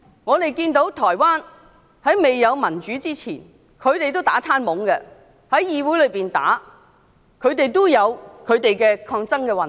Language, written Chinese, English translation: Cantonese, 我們看到台灣未有民主前，議會內議員打架也打得厲害，亦有抗爭運動。, Before democracy is manifested in Taiwan we noticed that members of the legislature had serious fights and there were protest movements